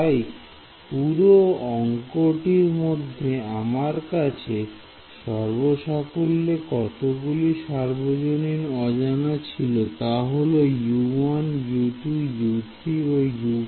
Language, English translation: Bengali, So, how many unknowns did I have in the global in the in the overall problem U 1 U 2 U 3 U 4 ok